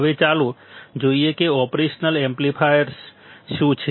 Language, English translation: Gujarati, Now, let us see what are the operational amplifiers right